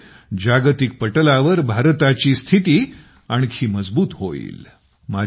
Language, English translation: Marathi, This will further strengthen India's stature on the global stage